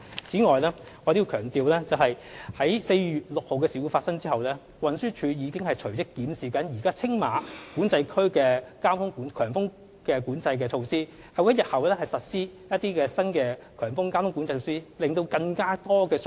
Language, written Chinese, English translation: Cantonese, 此外，我要強調，在4月6日的事故發生後，運輸署已隨即檢視現時青馬管制區的強風交通管制措施，並會在日後實施新的強風交通管制措施，向乘客提供更多相關信息。, Moreover I must say that after the incident on 6 April an immediate review was conducted by TD to examine the existing high wind traffic management measures of TMCA . TD will also implement new high wind traffic management measures in the future to provide passengers with more relevant messages